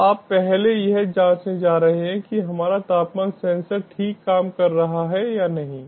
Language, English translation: Hindi, so you are first going to check whether our temperature sensor working fine or not